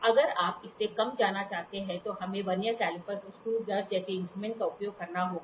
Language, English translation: Hindi, If you want to go less than that then we have to use instruments like Vernier caliper and screw gauges